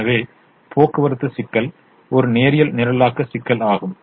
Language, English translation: Tamil, therefore this problem is a linear programming problem